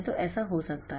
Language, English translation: Hindi, So, it is going like this